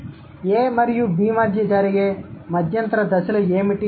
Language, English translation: Telugu, So, what are the intermediate stages that occur between A and B